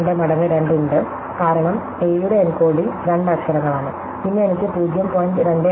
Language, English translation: Malayalam, 32 times 2, because the encoding of A is two letters, then I have 0